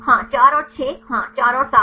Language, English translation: Hindi, Yes 4 and 6 yes 4 and 7